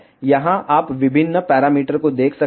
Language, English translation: Hindi, Here you can see various parameters ok